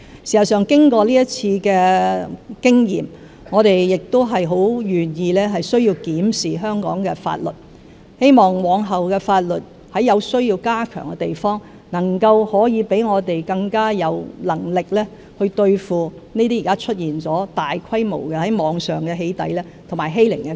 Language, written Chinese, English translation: Cantonese, 事實上，經過這次經驗，我們很願意檢視香港的法律，希望往後的法律可以在有需要的地方加強，讓我們更有能力對付現時網上出現的大規模"起底"和欺凌的情況。, In fact learning from this experience we are very willing to review the laws of Hong Kong hoping that future laws can be enhanced where necessary to enable us to better combat the current large - scale online doxxing and bullying